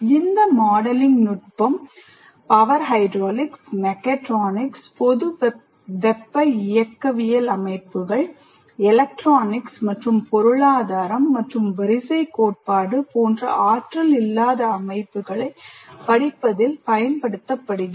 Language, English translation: Tamil, This modeling technique is used in studying power hydraulics, mechatronics, general thermodynamic systems, electronics, non energy systems like economics and queuing theory as well